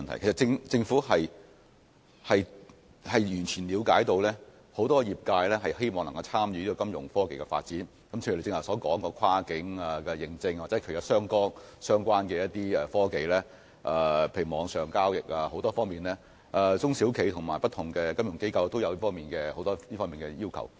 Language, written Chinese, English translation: Cantonese, 其實，政府完全了解很多業界人士均希望參與金融科技的發展，例如張議員剛才提到的跨境認證，以及網上交易等相關科技，許多中小企和不同的金融機構對此均有很多訴求。, As a matter of fact the Government fully appreciates that many members of the industry wish to participate in Fintech development . For example many SMEs and different financial institutions have quite a few demands for technologies related to cross - border authentication and online transactions as mentioned by Mr CHEUNG just now